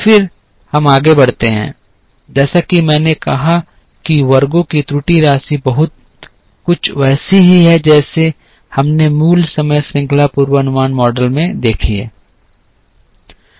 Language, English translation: Hindi, Then, we proceed as I said the error sum of squares thing is very similar to what we have seen in the basic time series forecasting model